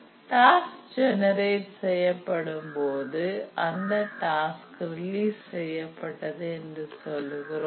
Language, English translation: Tamil, And when the task gets generated, we say that the task is released